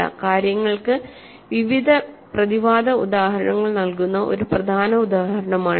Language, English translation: Malayalam, So, this is an important example which provides various counter examples to things